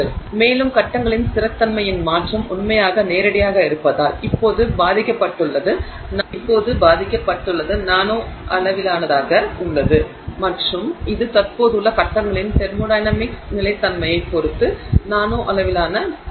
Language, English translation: Tamil, So, and that change in stability of the phases has been directly affected by the fact that it is now at the nanoscale and that's the impact of nano scale activity with respect to the thermodynamic stability of phases that are present